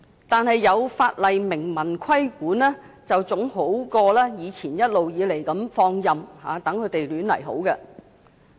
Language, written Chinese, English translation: Cantonese, 但是，有法例明文規管，總比以前一直任由這些龕場自把自為好。, Nevertheless these columbaria are better off being subject to express regulation provided in the legislation than being allowed to run their own course